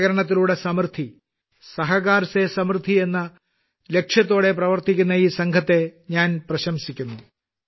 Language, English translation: Malayalam, I appreciate this team working with the spirit of 'prosperity through cooperation'